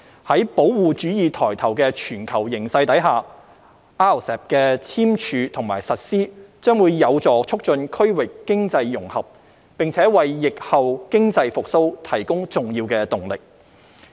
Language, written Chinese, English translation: Cantonese, 在保護主義抬頭的全球形勢下 ，RCEP 的簽署和實施將有助促進區域經濟融合，並為疫後經濟復蘇提供重要動力。, Against the global headwinds of protectionism the signing and implementation of RCEP will facilitate economic integration in the region and provide a momentous drive to economic recovery in the post - pandemic era